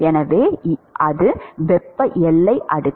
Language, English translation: Tamil, So, that is the thermal boundary layer